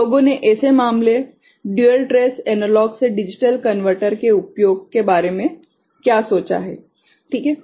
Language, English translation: Hindi, So, what people have thought of inn such a case that use of dual trace analog to digital converter ok